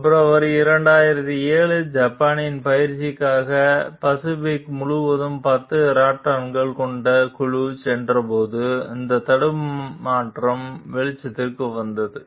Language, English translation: Tamil, The glitch came to light when in February 2007, a group of 10 Raptors headed across the pacific for exercises in Japan